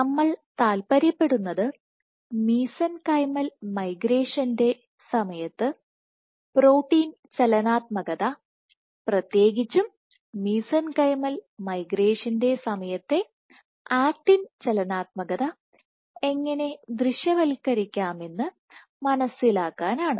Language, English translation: Malayalam, So, what we were interested in was understanding how can we visualize protein dynamics during mesenchymal migration or specifically actin dynamics during mesenchymal migration